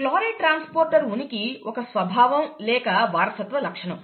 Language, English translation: Telugu, The presence of the chloride transporter is a character or a heritable feature, okay